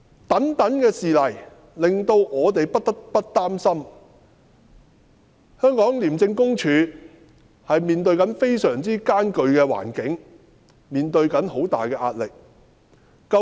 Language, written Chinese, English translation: Cantonese, 種種事例，令我們不得不擔心廉署正面對非常嚴峻的環境，面對着重大壓力。, The series of cases have made us worried about the severe situation and immense pressure faced by ICAC